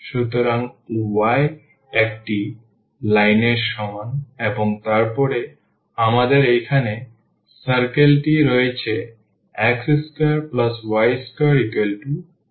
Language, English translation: Bengali, So, this is y is equal to one line, and then we have the circle here x square plus y square